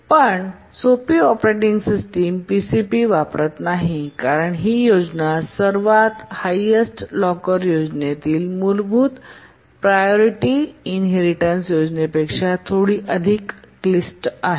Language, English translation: Marathi, Very, very simple operating systems don't use PCP because the scheme is slightly more complicated than the basic priority inheritance scheme in the highest locker scheme